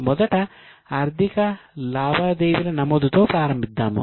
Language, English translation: Telugu, Okay, to first begin with the recording of financial transactions